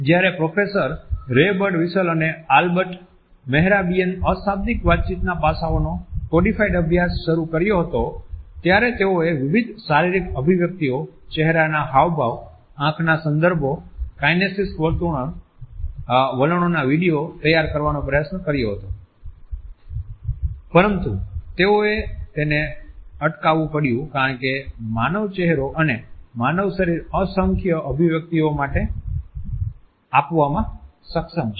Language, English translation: Gujarati, When Professor Ray Birdwhistell and Albert Mehrabian, had started the codified studies of nonverbal aspects of communication they had tried to prepare video footage of different physical expressions, of facial expressions, of eye contexts, of kinesic behavior etcetera, but they have to stop it because human face and human body is capable of literally in numerous number of expressions